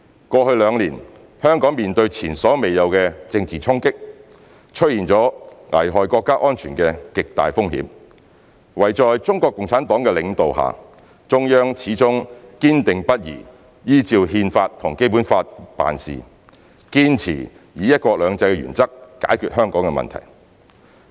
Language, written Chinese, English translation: Cantonese, 過去兩年，香港面對前所未有的政治衝擊，出現了危害國家安全的極大風險，惟在中國共產黨的領導下，中央始終堅定不移依照《憲法》和《基本法》辦事，堅持以"一國兩制"的原則解決香港的問題。, Over the past two years Hong Kong has been battered by unprecedented political turmoil which posed a very high risk of endangering national security . Under the leadership of CPC the Central Government has stayed determined to tackle the issue of Hong Kong through strict compliance with the Constitution and the Basic Law and adherence to the one country two systems principle